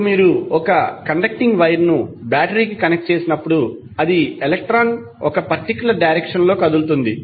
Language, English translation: Telugu, Now, when you are connecting a conducting wire to a battery it will cause electron to move in 1 particular direction